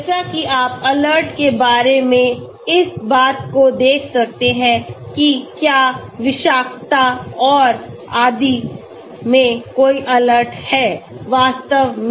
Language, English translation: Hindi, As you can see this talk about alerts whether there are any alerts on toxicity and so on actually